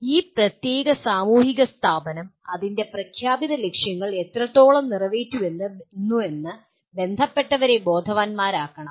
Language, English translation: Malayalam, And the stakeholder should be made aware of to what extent this particular social institution is meeting its stated objectives